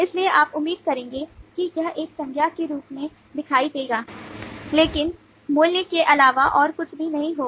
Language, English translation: Hindi, so you will expect it to appear as a noun but not have anything other than a value